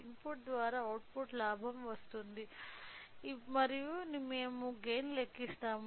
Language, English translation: Telugu, So, the output by input gives the gain and we will calculate the gain